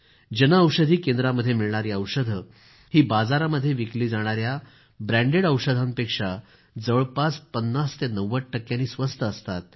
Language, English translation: Marathi, Medicines available at the Jan Aushadhi Centres are 50% to 90% cheaper than branded drugs available in the market